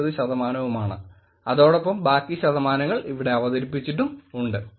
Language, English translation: Malayalam, 99 percent and rest of the percentage that are presented there